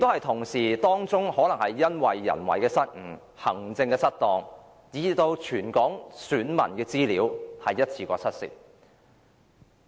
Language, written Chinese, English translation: Cantonese, 同時，當中可能出現人為失誤及行政失當，以致全港選民的資料一次過失竊。, Besides there might have been human errors and mismanagement in the process thus resulting in the theft of the particulars of all electors in Hong Kong in one go